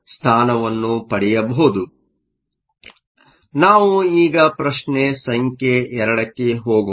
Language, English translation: Kannada, So, let us now move to question number 2